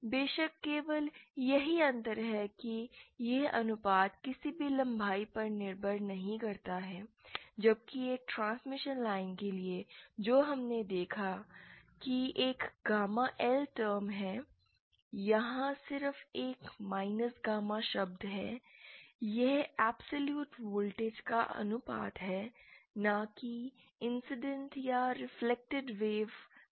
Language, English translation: Hindi, there is difference, here this ratio doesn’t depend on any length whereas for a transmission line which we saw there is a gamma L term, here there is just a minus gamma term also this is the ration of the absolute voltages, not the incident or the reflected waves